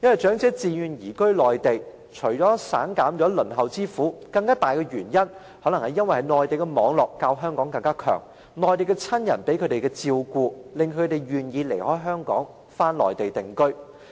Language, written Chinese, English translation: Cantonese, 長者自願移居內地，除了省減輪候之苦外，更大的原因，可能是他們在內地的網絡較香港廣，他們在內地的親人可以給予更好照顧，使他們願意離開香港返回內地定居。, The reason for elderly persons to move to the Mainland on their own initiative is that they want to save the pain of queuing . But a stronger reason is probably that they have a bigger support network on the Mainland such as having relatives there than in Hong Kong . They are thus willing to leave Hong Kong and return to the Mainland for residence